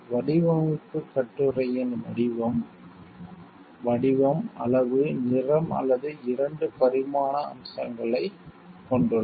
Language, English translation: Tamil, The design consists of the shape of the article, pattern, size, color or 2 dimensional features